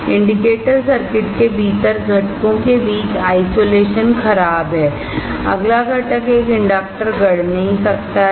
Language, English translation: Hindi, Isolation between components within the indicator circuit is poor; The next is components such as an inductor cannot be fabricated